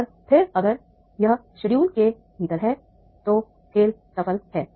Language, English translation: Hindi, So therefore within time schedule that game was done